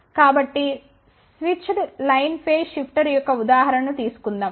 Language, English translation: Telugu, Then we took an example of 6 bit phase shifter